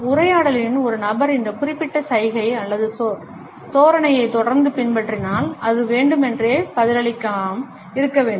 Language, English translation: Tamil, If in dialogue a person continues to adopt this particular gesture or posture then it has to be taken as a deliberate absence of response